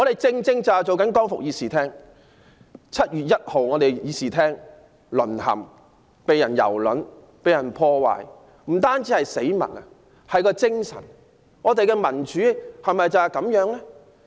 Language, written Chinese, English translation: Cantonese, 這會議廳在7月1日淪陷，備受蹂躪，被破壞的不單是死物，還有議會的精神，民主制度是否就是如此？, This Chamber has fallen into the hands of rioters on 1 July and it was severely vandalized . Damage was caused not only to dead objects but also to the spirit of this legislature and should a democratic system work like this?